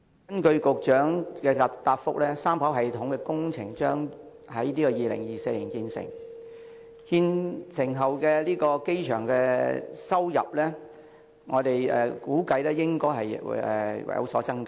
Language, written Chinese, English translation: Cantonese, 根據局長的答覆，三跑道系統工程將於2024年完工，其後機場收入估計會有所增加。, According to the Secretary the 3RS project will be completed in 2024 and it is estimated that the airports revenue will increase subsequently